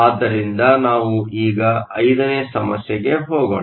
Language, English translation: Kannada, So, let us now go to problem 5